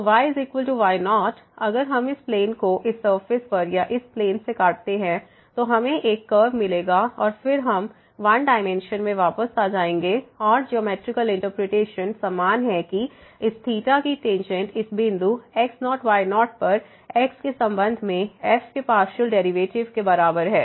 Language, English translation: Hindi, So, is equal to naught if we cut this plane over this surface or by this plane, then we will get a curve and then we have we are again back to in one dimensional case and the geometrical interpretation is same that the tangent of this theta is equal to the partial derivative of with respect to at this point naught naught